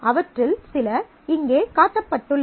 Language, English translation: Tamil, Some of those are shown here